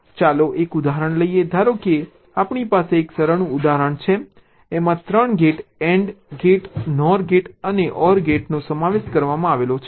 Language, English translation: Gujarati, suppose we have a simple example consisting of three gates and gate, nor gate and an or gate